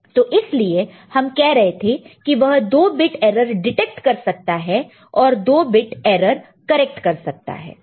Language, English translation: Hindi, So, that is why you are saying that it can detect 2 bit, error and can correct 1 bit